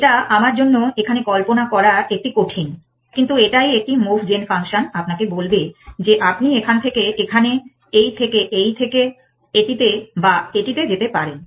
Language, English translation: Bengali, It is a difficult for me to visualize it here, but it is what a move gen function telling you will that one function is saying from here you can go to this to this to this to this or to this one